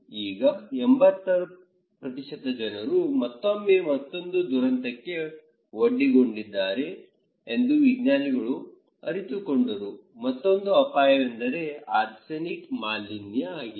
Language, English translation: Kannada, Now, when the 80% people using this one then the scientists realised that the people now again exposed to another disaster, another risk that is arsenic contamination